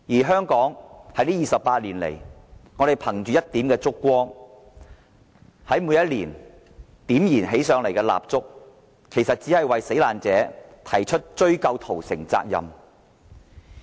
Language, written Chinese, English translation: Cantonese, 香港在這28年來，在每年燃點起蠟燭，憑着這一點燭光，繼續為死難者追究屠城責任。, Over the past 28 years Hong Kong people have lighted up candles each year to continue ascertaining responsibility for the massacre . We must persist in this course